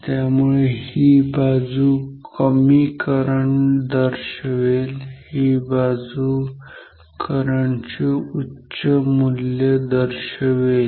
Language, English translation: Marathi, So, this side should be low current, this side should indicate some higher value of correct